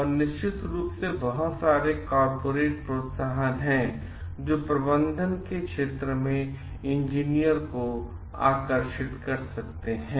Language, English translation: Hindi, And of course, there are lot of corporate incentives which may attract the engineer into the domain of management